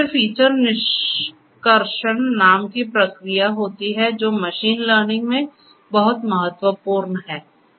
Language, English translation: Hindi, Then there is something called feature extraction which is very important in machine learning